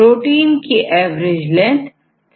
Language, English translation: Hindi, So, what is the average length of the protein